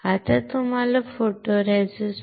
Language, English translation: Marathi, Now, you have to understand what is photoresist